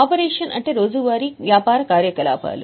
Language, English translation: Telugu, Operating means something related to day to day activities